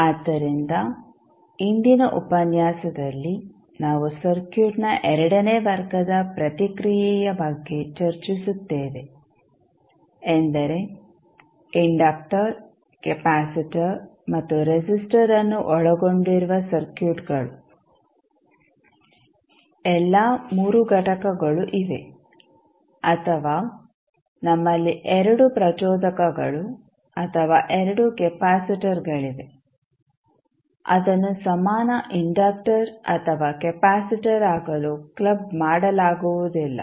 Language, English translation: Kannada, So, in today’s session we will discuss about the second order response of the circuit means those circuits which contain inductor, capacitor and resistor; all 3 components are there or we have 2 inductors or 2 capacitors which cannot be clubbed to become a equivalent inductor or capacitor